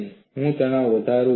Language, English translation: Gujarati, Now, I increase the stress